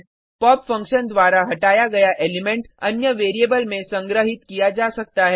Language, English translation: Hindi, The element removed by pop function can be collected into another variable